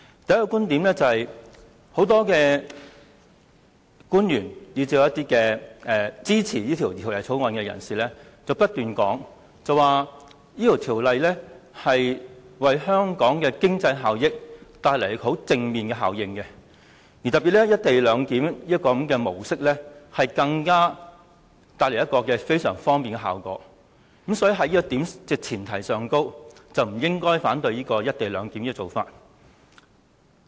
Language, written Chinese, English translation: Cantonese, 第一，很多官員以至是支持《條例草案》的人，不斷指出《條例草案》可為香港帶來正面經濟效益，特別是"一地兩檢"的模式，更可帶來非常方便的效果，所以在這前提下，大家不應反對"一地兩檢"的安排。, First many government officials as well as supporters of the Bill have pointed out repeatedly that the Bill will bring economic benefits to Hong Kong and the co - location arrangement in particular will bring great convenience so on this premise we should not oppose the co - location arrangement